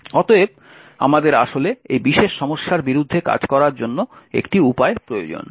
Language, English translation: Bengali, Therefore, we need a way to actually work around this particular problem